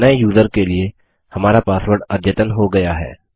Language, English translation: Hindi, Now our password for the new user is updated